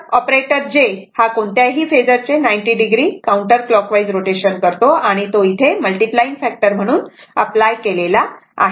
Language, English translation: Marathi, So, another thing is that the operator j produces 90 degree counter clockwise rotation, right of any phasor to which it is applied as a multiplying factor